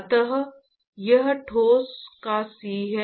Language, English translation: Hindi, So, it is the C of the solid